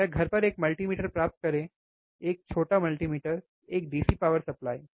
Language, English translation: Hindi, oOr get the multimeter at home, a small multimeter, a DC power supply, right